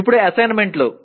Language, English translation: Telugu, Now the assignments